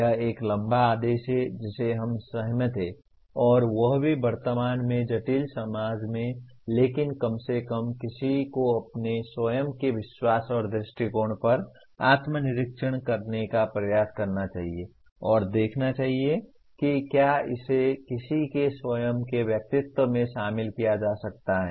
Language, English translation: Hindi, This is a tall order we agree, and that too in a present day complex society but at least one should make an attempt to inspect, to introspect on one’s own believes and attitudes and see whether it can be incorporated into one’s own personality